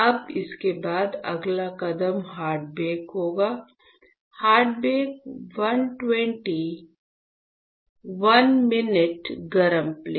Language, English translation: Hindi, Now, after this the next step would be, hard bake correct; hard bake 120 1 minute hot plate